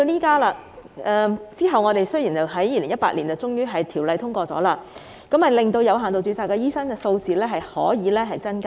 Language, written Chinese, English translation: Cantonese, 及後，有關條例草案在2018年獲得通過，令有限度註冊醫生的數目得以增加。, Later a relevant Bill was passed in 2018 and the number of doctors under limited registration has been increased